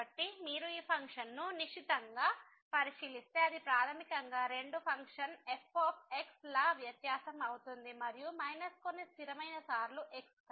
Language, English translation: Telugu, So, if you take a close look at this function it is a basically difference of two functions and minus some constant times